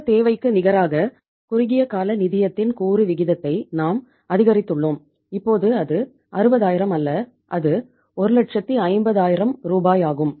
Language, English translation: Tamil, We have increased the component proportion of the uh short term finance as against the total requirement and now it is not 60000 it is 150000 Rs